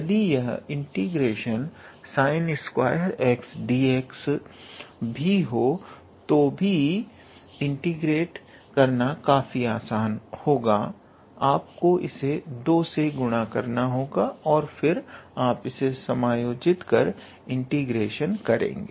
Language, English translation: Hindi, Even if it is sine squared x dx, then it would also be quite simple to integrate you have to multiply by 2, and then you adjust the factor two and then you do the integration